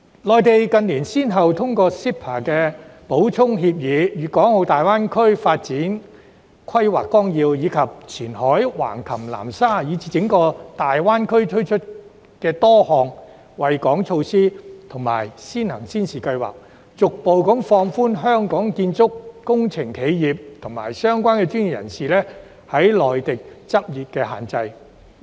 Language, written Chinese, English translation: Cantonese, 內地近年先後通過 CEPA 的補充協議、《粤港澳大灣區發展規劃綱要》，以及前海、橫琴、南沙，以至整個大灣區推出的多項惠港措施和先行先試計劃，逐步放寬香港建築及工程企業和相關專業人士在內地執業的限制。, In recent years through CEPA and its Supplements the Outline Development Plan for the Guangdong - Hong Kong - Macao Greater Bay Area and the introduction of various measures benefiting Hong Kong and pilot projects in Qianhai Hengqin Nansha and the entire Greater Bay Area the Mainland has gradually relaxed the restrictions to the operation of Hong Kongs construction and engineering enterprises and the practice of professionals on the Mainland